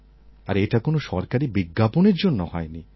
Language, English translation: Bengali, Now see, there was no government advertisement